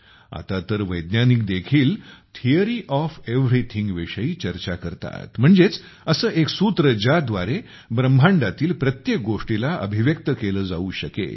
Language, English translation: Marathi, Now scientists also discuss Theory of Everything, that is, a single formula that can express everything in the universe